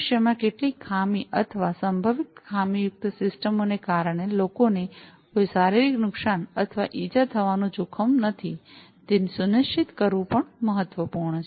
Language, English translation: Gujarati, It is also important to ensure that there is no unexpected risk of physical damage or injury to people due to some malfunctioning or potentially malfunctioning systems in the future